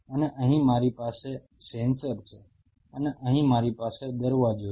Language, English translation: Gujarati, And here I have a sensor and here I have a gate